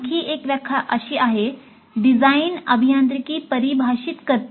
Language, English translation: Marathi, Another definition is design defines engineering